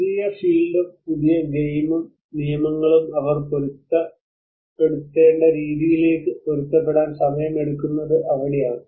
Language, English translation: Malayalam, So that is where it takes time to adapt to the way they have to accustom with the new field and new game rules